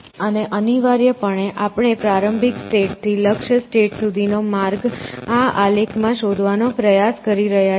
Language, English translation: Gujarati, And essentially, what we are trying to do is to find a path from a start state to a goal state in this graph essentially